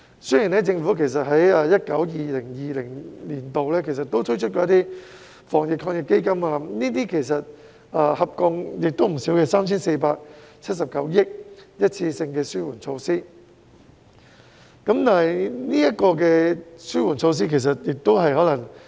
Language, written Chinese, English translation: Cantonese, 雖然政府在 2019-2020 年度推出了防疫抗疫基金，合共撥出 3,479 億元的一次性紓緩措施，但是，紓緩措施亦可能......, The Government has introduced one - off relief measures totalling 347.9 billion under the Anti - epidemic Fund in 2019 - 2020 but the relief measures may as we have said in the past the measures were one - off and evenly allocated